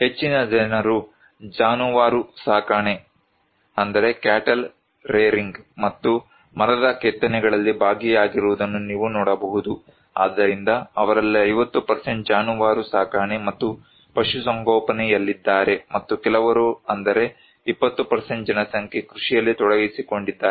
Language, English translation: Kannada, You can see that most of the people are involved in cattle rearing and wood cravings, so 50% of them are in cattle rearing and animal husbandry and some are also involved in agriculture around 20% of populations